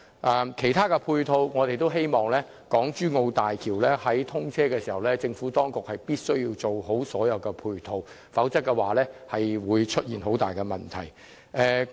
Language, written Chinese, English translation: Cantonese, 至於其他配套設施方面，我們也希望在港珠澳大橋通車時，政府能已完成建設所有配套設施，否則便會出現很大問題。, As for other support facilities we also hope that the Government can already complete the construction of all support facilities by the commissioning of HZMB or else serious problems will arise